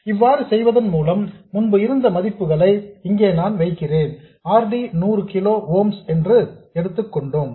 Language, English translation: Tamil, By the way, let me put the values I had before already we took it to be 100 kilo ooms